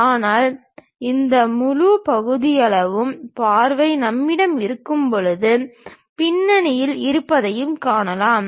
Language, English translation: Tamil, But, when we have this full sectional view, we can really see what is there at background also